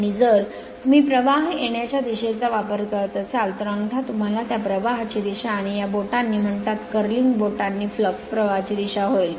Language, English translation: Marathi, And if you use current entering into the page then the thumb will be what you call the direction of the current and this fingers, the curling fingers will be the direction of the flux right